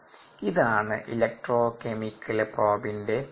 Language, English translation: Malayalam, it is an electrochemical probe